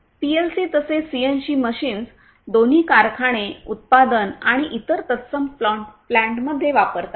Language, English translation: Marathi, PLCs as well as CNC machines both are used in factories, the manufacturing plants and other similar plants a lot